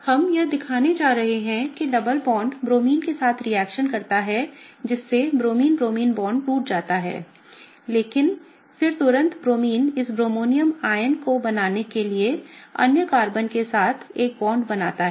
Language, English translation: Hindi, We are gonna show that the double bond reacts with the Bromine such that the Bromine Bromine bond breaks, but then immediately this Bromine comes back to form a bond with the other Carbon to form this bromonium ion